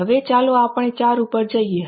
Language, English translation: Gujarati, Now, let us get to 4